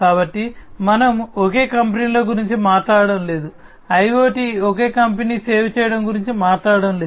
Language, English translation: Telugu, So, we were talking about that we are not talking about single companies, we are not talking about IoT serving a single company